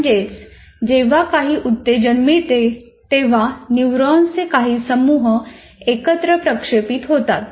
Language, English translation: Marathi, And whenever a stimulus comes to you, whenever there is a stimulus, it causes a group of neurons to fight fire together